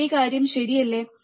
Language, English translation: Malayalam, The same thing, right